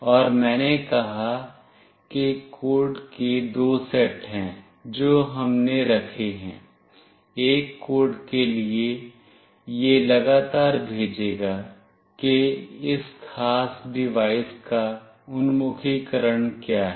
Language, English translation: Hindi, And I said there are two set of codes that we have put; for one code it will continuously send what is the orientation of this particular device